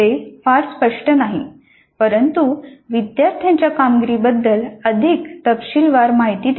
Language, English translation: Marathi, That is not very clear but it does give more detailed information about the performance of the students